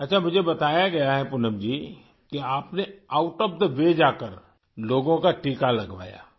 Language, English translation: Urdu, I've been told Poonam ji, that you went out of the way to get people vaccinated